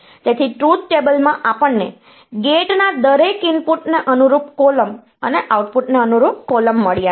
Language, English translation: Gujarati, So, in the truth table we have got column corresponding to each of the inputs to the gate and a column corresponding to the output